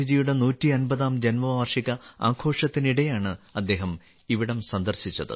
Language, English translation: Malayalam, He had sung it during the 150th birth anniversary celebrations of Gandhiji